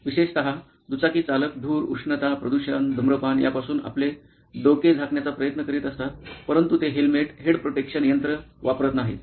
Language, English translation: Marathi, 2 wheelers, particularly, they go through a lot of steps trying to cover their head from dust, from heat, from pollution, from inhaling smoke, but they do not wear a head protection device a helmet